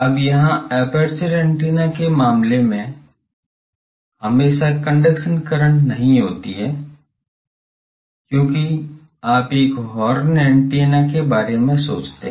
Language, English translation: Hindi, Now here in aperture antenna case, it is not always conducting current, because you think of a horn antenna